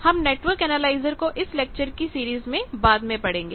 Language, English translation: Hindi, We will study network analyser later in the this series of lecture